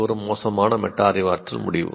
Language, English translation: Tamil, So, that is a bad metacognitive decision